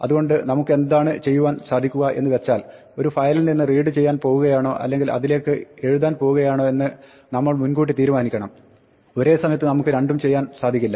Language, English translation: Malayalam, So, what we have to do is decide in advance whether we are going to read from a file or write to it, we cannot do both